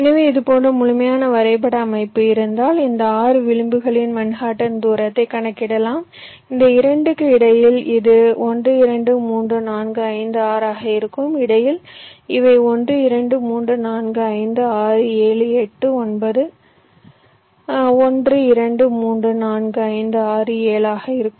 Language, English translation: Tamil, so if you have a complete graph structure like this so you can make a calculation of the manhattan distance of all this, six edges, say, between these two it will be one, two, three, four, five, six